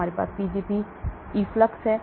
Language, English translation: Hindi, We have something called Pgp efflux